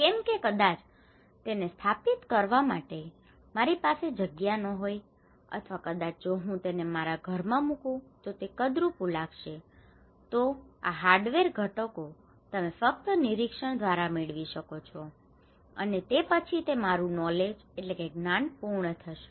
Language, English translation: Gujarati, Because I do not have maybe space to install it or maybe it would look ugly if I put it into in my house so, these hardware components you can only get through observation, okay and then it would complete my knowledge